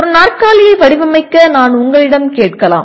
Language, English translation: Tamil, I can ask you to design a chair